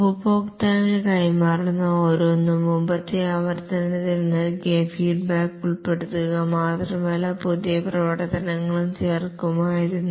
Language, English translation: Malayalam, Each deliverable to the customer would not only have incorporated the feedback that he had given in the previous increment, but also added new functionalities